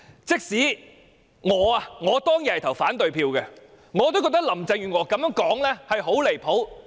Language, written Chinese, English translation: Cantonese, 即使我當天投反對票，我也認為她的說法很離譜。, Even though I voted against it back then I still find her statement very outrageous